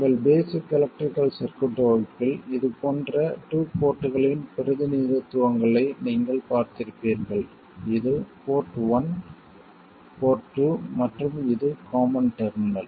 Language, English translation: Tamil, You would have seen representations of such a two port in your basic electrical circuits class and this is port one, port two and this is the common terminal